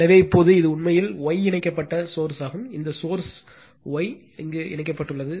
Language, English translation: Tamil, So, now this is actually star connected source, this source is star connected right